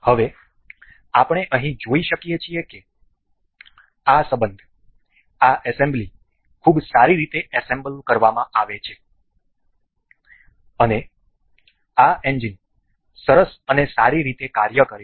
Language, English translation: Gujarati, Now, we can see here that this relation is this assembly is very well assembled, and this engine works nice and good